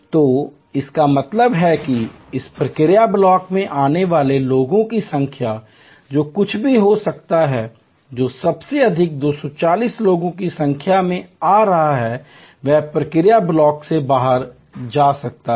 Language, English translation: Hindi, So, which means the number of people coming out, coming in to this process block, whatever may be the number coming in at the most 240 people can go out of the process block